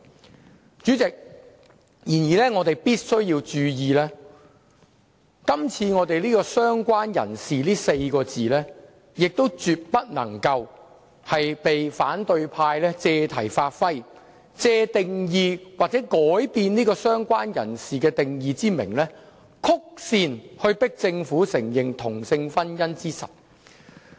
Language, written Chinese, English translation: Cantonese, 然而，主席，我們必須注意，"相關人士"這4個字絕不能被反對派議員借題發揮，以修改"相關人士"定義為名，曲線迫使政府承認同性婚姻為實。, The amendment proposed by the Government can already resolve their problems . However Chairman we must guard against Members from the opposition camp preventing them from playing with the term related person by all means so that they cannot indirectly press the Government into recognizing same - sex marriage on the pretext of amending the definition of related person